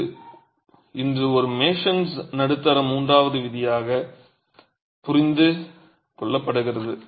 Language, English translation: Tamil, This is today understood as a Mason's middle third rule